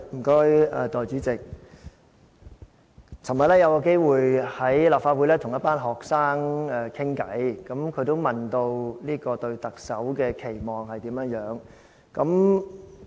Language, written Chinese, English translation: Cantonese, 代理主席，昨天有機會在立法會跟一群學生交談，有同學問我對特首的期望是甚麼。, Deputy President yesterday I had an opportunity to have a discussion with some students in the Legislative Council Complex . One of the students asked me to tell them my expectations for the Chief Executive